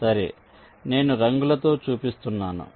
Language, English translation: Telugu, well, i am showing it in the colour